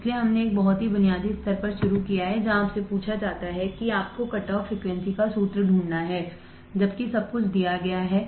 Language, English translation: Hindi, So, we have started at a very basic level where you are you are asked to find the formula of a cutoff frequency, while given everything is given